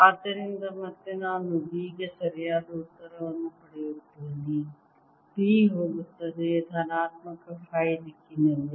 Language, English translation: Kannada, correct answer for b that b would be going in the positive directions